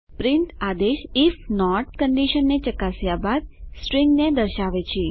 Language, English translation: Gujarati, print command displays the string after checking the if condition